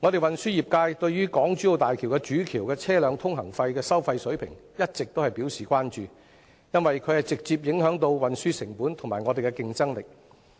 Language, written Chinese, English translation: Cantonese, 運輸業界對於港珠澳大橋主橋的車輛通行費收費水平一直表示關注，因這直接影響到運輸成本及業界的競爭力。, The transport trade has long expressed concern about the toll levels of HZMB as they will have direct impact on the shipment cost and competitiveness of the trade